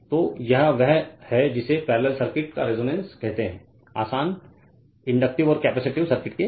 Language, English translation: Hindi, So, this is your what you call that your resonance of your parallel circuit simple inductive and capacitive circuit